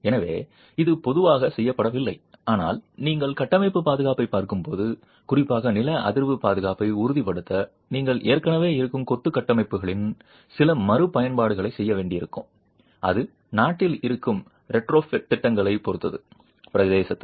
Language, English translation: Tamil, So, this is typically not done but when you are looking at structural safety, it might so happen that to ensure particularly seismic safety, you might have to do some retrofit of existing masonry structures and that would depend on existing retrofit programs in the country in the territory